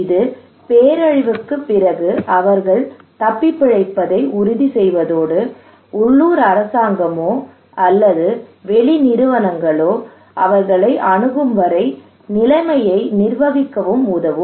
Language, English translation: Tamil, So that just after the disaster they can survive they can manage the situation okay and until and unless the local government or external agencies are able to reach to them